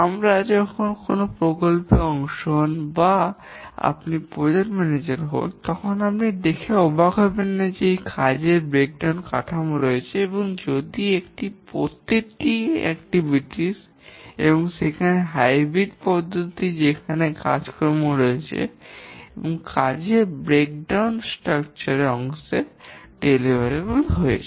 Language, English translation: Bengali, When you are part of a project or you are the project manager, don't be surprised to see that we have work breakdown structure where each of these activities, each of these are activities and also a hybrid approach where there are activities and also deliverables as part of the work breakdown structure